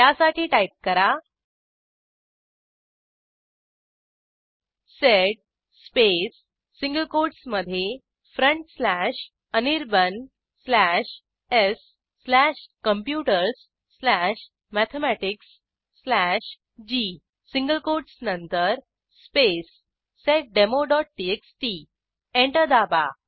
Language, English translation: Marathi, In such case we would need to type: sed space within single quotes front slash Anirban slash s slash computers slash mathematics slash g after the single quotes space seddemo.txt Press Enter